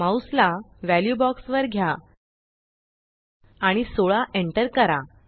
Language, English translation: Marathi, Move the mouse to the value box and enter 16